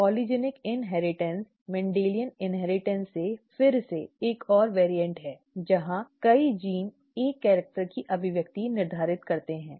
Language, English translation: Hindi, Polygenic inheritance is another variant again from Mendelian inheritance where multiple genes determine the expression of a character